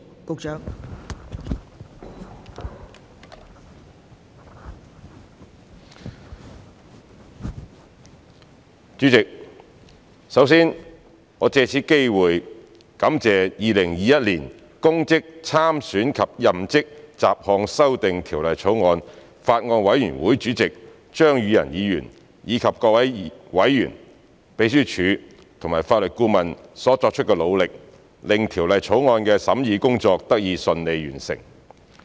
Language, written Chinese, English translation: Cantonese, 代理主席，首先，我藉此機會感謝《2021年公職條例草案》委員會主席張宇人議員，以及各位委員、秘書處及法律顧問所作的努力，令《2021年公職條例草案》的審議工作得以順利完成。, Deputy President first of all I would like to take this opportunity to thank Mr Tommy CHEUNG Chairman of the Bills Committee on Public Offices Bill 2021 and its members the Secretariat and the Legal Adviser for their efforts which resulted in the smooth conclusion of deliberation on the Public Offices Bill 2021 the Bill